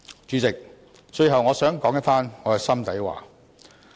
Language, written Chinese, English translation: Cantonese, 主席，最後我想說一番心底話。, Lastly President I wish to say something from the bottom of my heart